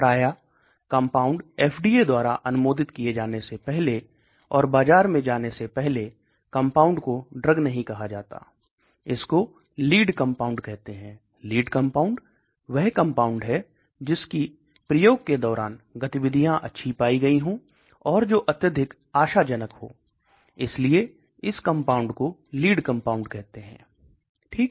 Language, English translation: Hindi, Generally before the compound is approved by FDA and introduced in the market, it is not called the drug it is called a lead compound that means a lead, a compound which has shown very good activity, a compound which looks very, promising, so that is called the lead identification okay